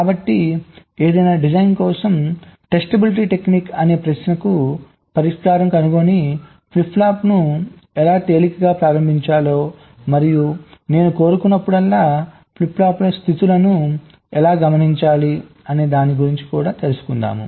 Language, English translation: Telugu, so for any design for testability technique i have to address and find the solution to this question: how to initialize the flip flop rather easily and how to observe the states of the flip flops whenever i want to